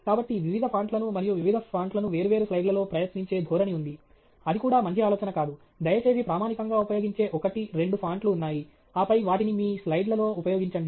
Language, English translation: Telugu, So, there is a tendency to try out various fonts, and various fonts in different slides; that is also not a good idea; please stick to standard, you know, one or two fonts, and then, use them through your slides